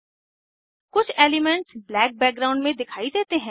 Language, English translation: Hindi, Some elements are shown in black background